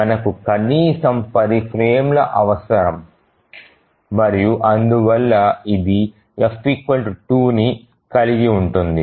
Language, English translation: Telugu, So we need at least 10 frames and therefore this just holds f equal to 2